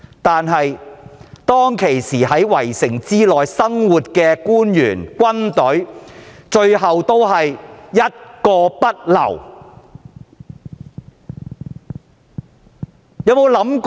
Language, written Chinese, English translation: Cantonese, 但是，當時在城內的官員和軍隊，最終都是一個不留。, No official or military personnel in the city however could manage to survive in the end